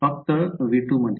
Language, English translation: Marathi, Yeah only over v 2